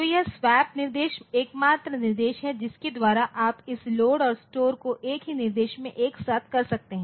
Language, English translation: Hindi, So, this swap instruction is the only instruction by which you can you can do this loads and load and store simultaneously in a in a single instruction